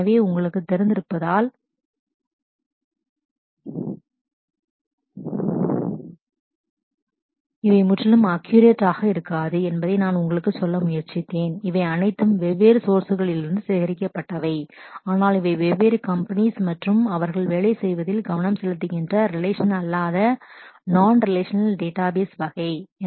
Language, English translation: Tamil, So, I have tried to you know these may not be absolutely accurate because you know these are all collected from different sources, but these are the different companies and the kind of non relational database that they are focusing with working with